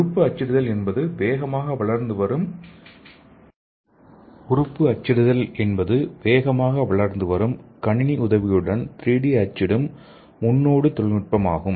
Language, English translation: Tamil, So organ printing is a rapid prototyping computer aided 3D printing technology